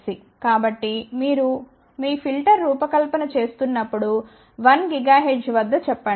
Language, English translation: Telugu, So, when you are designing your filter let us say at 1 gigahertz